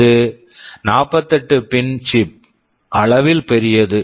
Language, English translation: Tamil, This was a 48 pin chip, so large in size